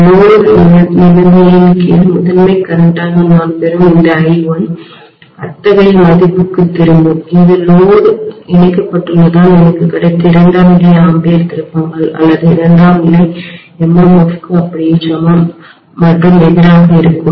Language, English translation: Tamil, And this I1 what I get as the primary current under load condition will bounce back to such a value that it will be exactly equal and opposite to that of the secondary ampere turns or secondary MMF I got because of the load being connected